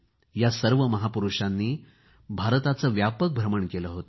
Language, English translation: Marathi, All these great men travelled widely in India